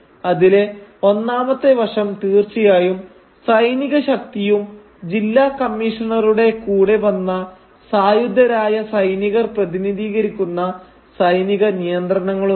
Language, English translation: Malayalam, The first aspect is of course that of military force and military coercion which is represented by the armed guards who come with the District Commissioner